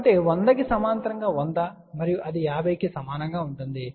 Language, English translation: Telugu, So, 100 in parallel with a 100 and that will be equal to 50 ohm